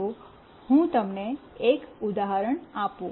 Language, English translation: Gujarati, Let me give you an example